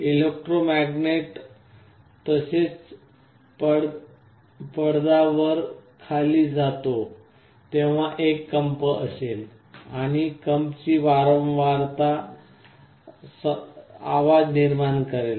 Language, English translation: Marathi, The electromagnet as well as the diaphragm will be moving up and down, there will be a vibration and the frequency of vibration will generate a sound